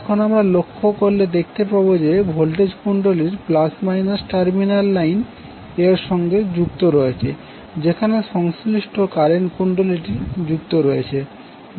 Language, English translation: Bengali, Now you also notice that the plus minus terminal of the voltage coil is connected to the line to which the corresponding current coil is connected